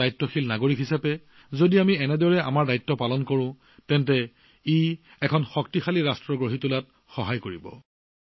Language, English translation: Assamese, If we perform our duties as a responsible citizen, it will prove to be very helpful in building a strong nation